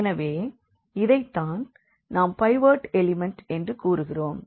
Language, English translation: Tamil, So, what is the property of this pivot element